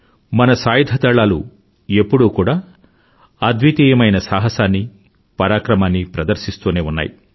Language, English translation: Telugu, Our armed forces have consistently displayed unparalleled courage and valour